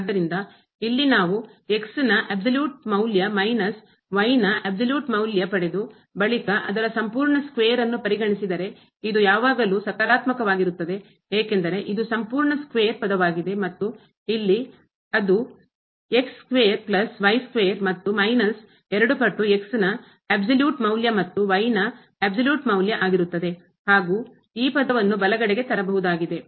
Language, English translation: Kannada, So, here if we consider this absolute value of minus absolute value of whole square, this will be always positive because this is a whole square term and then, we have here square plus square and this will be minus 2 times absolute value of minus absolute value of which I can bring to the right hand side